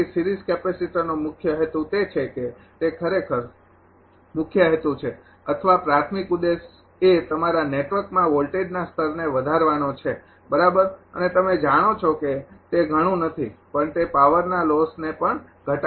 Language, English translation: Gujarati, So, main purpose of the series capacitor is that it actually it is main purpose is or primary objective is to increase the your voltage level of the network right and as you know that it also reduce the power losses; because we have in the load flow studies the power loss equation